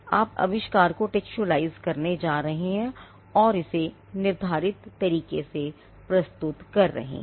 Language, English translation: Hindi, You are going to textualize the invention and present it in a determined manner